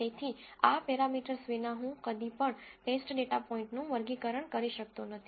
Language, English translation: Gujarati, So, without these parameters I can never classify test data points